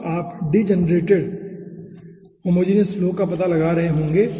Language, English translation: Hindi, then you will be finding out degenerated homogenous flow